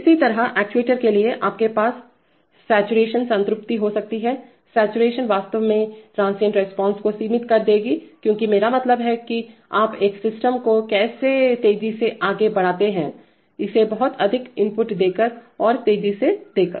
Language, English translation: Hindi, Similarly for actuators, you can have saturation, saturation will actually limit transient response because you are not, I mean, how do you move a system fast, by giving it a lot of input and by giving it fast